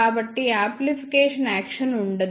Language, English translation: Telugu, So, there will be no amplification action